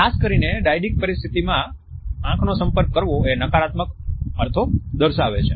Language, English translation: Gujarati, In dyadic situations particularly the evidence of eye contact passes on negative connotations